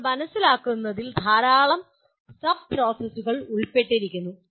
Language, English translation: Malayalam, Now understanding has fairly large number of sub processes involved in understanding